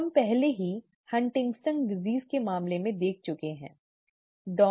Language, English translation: Hindi, We have already seen this in the case of Huntington’s disease, okay